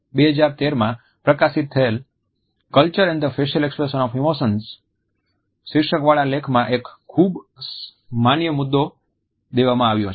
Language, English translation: Gujarati, In the article entitled Culture and Facial Expressions of Emotion which was published in 2013, a very valid point has been made